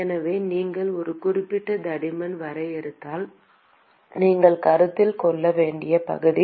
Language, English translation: Tamil, So, if you define a specific thickness, then that is the area that you have to consider